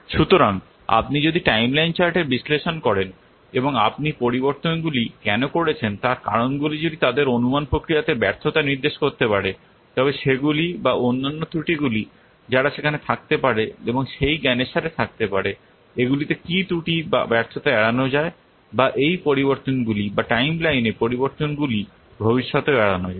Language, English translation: Bengali, So if you will analyze the timeline chart, analysis of the timeline chart and the reasons for the changes why you have made the changes they can indicate the failures in the estimation process they can or the other errors that might be there and with that knowledge these what errors or failures they can be avoided or the changes also change in the timelines etc they can be avoided in future